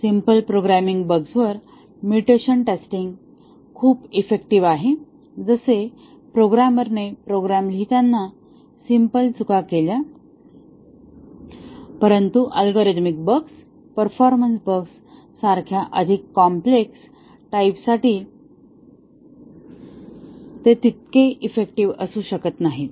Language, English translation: Marathi, The mutation testing is very effective on simple programming bugs which the programmer committed simple errors while writing the program, but more complex types of bugs like algorithmic bugs performance bugs and so on mutation testing may not be that effective